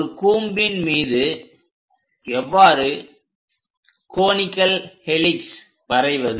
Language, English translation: Tamil, How to construct a conical helix over a cone